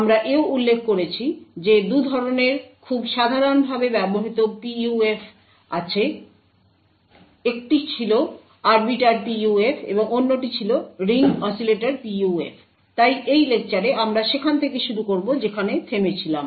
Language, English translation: Bengali, We also mentioned that there are 2 types of very commonly used PUFs, one was the Arbiter PUF and other was the Ring Oscillator PUF, so in this lecture we will continue from where we stopped